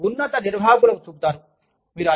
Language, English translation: Telugu, You show it to, the top management